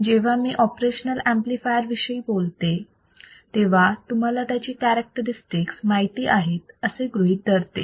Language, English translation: Marathi, So, when I talk about operational amplifier, you guys know the characteristics of op amp